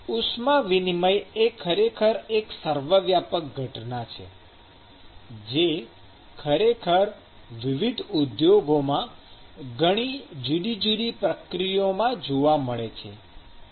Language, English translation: Gujarati, So, the heat transfer is actually a ubiquitous phenomenon which is actually seen in many different processes in different industries